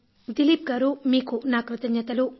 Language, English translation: Telugu, Dilip ji, thank you very much